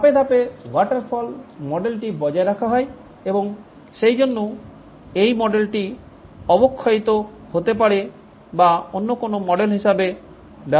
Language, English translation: Bengali, The step wise approach of the waterfall model is retained and therefore this model can be degenerated or can be used as any other model